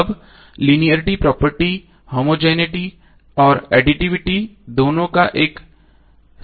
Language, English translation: Hindi, Now linearity property is a combination of both homogeneity and additivity